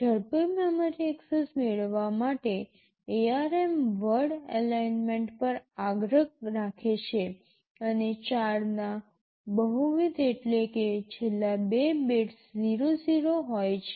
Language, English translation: Gujarati, To have faster memory access, ARM insists on word alignment and multiple of 4 means the last two bits are 00